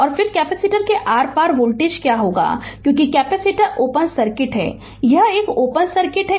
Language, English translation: Hindi, And then what is the voltage across the capacitor, because capacitor is open circuit, this is open circuit